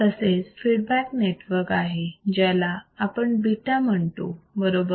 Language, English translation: Marathi, There is a feedback network here which we call beta right